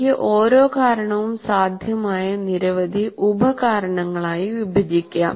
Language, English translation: Malayalam, And each cause again, I can divide it into several possible causes here